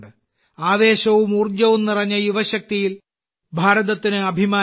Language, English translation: Malayalam, India is proud of its youth power, full of enthusiasm and energy